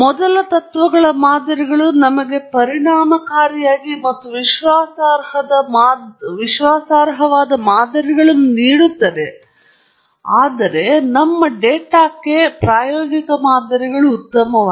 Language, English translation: Kannada, The first principles models give us effective and reliable models, whereas the empirical models are as good as your data